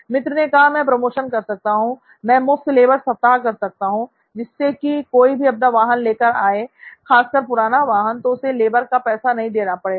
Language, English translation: Hindi, Well, he said I could run promotions, I could run free labour week so that anybody who walks in with their vehicle, old vehicles in particular, gets the labour for free